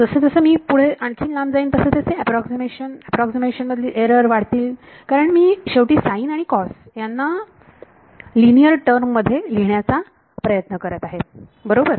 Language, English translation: Marathi, As I go further away the approximations the error of the approximations will begin to grow because I am finally, trying to represent a sin and cos by linear terms right